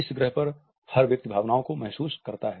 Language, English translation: Hindi, Every person on the planet feels emotions